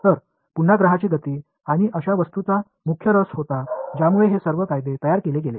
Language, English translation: Marathi, So, again the motion of planets and such objects was the main interest which led to all of these laws being formulated